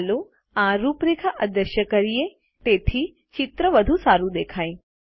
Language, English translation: Gujarati, Lets make these outlines invisible so that the picture looks better